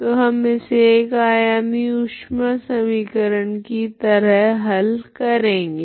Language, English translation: Hindi, How we derived this heat equation